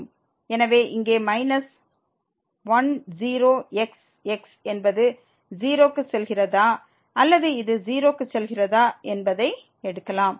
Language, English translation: Tamil, So, we have here minus goes to 0 whether this goes to 0